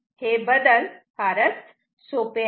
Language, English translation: Marathi, The modification is simple